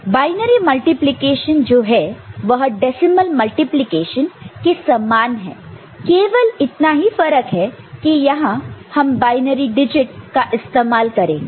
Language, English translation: Hindi, So, binary multiplication if you understand, if you are multiplying similar to you know decimal multiplication here only we are using binary digit ok